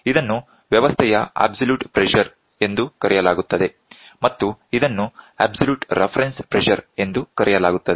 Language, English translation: Kannada, This one is called as absolute pressure absolute pressure of a system pressure of a system, this one is called absolute reference pressure